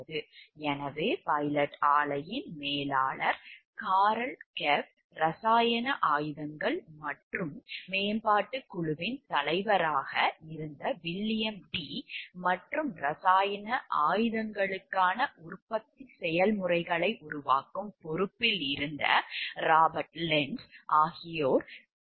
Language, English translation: Tamil, So, these are Carl Gepp, manager of the pilot plant William Dee who headed the chemical weapons and development team and Robert Lentz was in charge of developing of the manufacturing processes for the chemical weapons